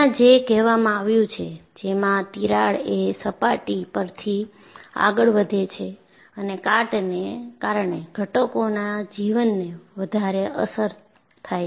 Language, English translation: Gujarati, So, that is what is mentioned here, the crack proceeds from the surface and the component life is further affected due to corrosion